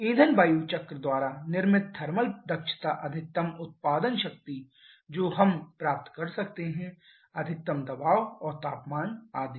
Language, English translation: Hindi, The thermal efficiency created by the fuel air cycle maximum output power that we can get maximum pressure and temperatures etc